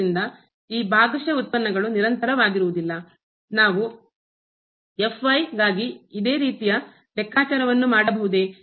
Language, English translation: Kannada, Therefore, these partial derivatives are not continuous; did we can do the similar calculation for